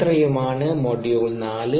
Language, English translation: Malayalam, that's it for module four